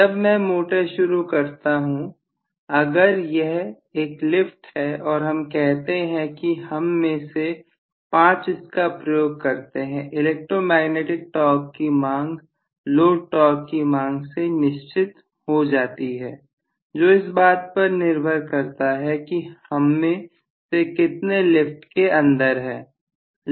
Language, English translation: Hindi, When I start the motor that is why I said if it is an elevator and let us say five of us get in the electromagnetic torque demand the low torque demand is fixed depending upon how many of us have got in